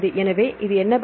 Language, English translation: Tamil, So, which is the answer